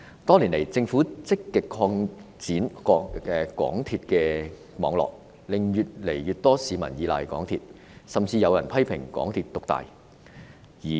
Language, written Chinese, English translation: Cantonese, 多年來，政府積極擴展港鐵網絡，令越來越多市民依賴港鐵，甚至有人批評港鐵獨大。, Over the years the Government has actively expanded the MTR network and as a result more and more members of the public rely on MTR and some people even criticized the MTR Corporation Limited MTRCL of having gained dominance